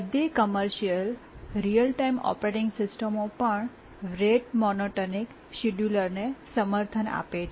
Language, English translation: Gujarati, Even all commercial real time operating systems do support rate monotonic scheduling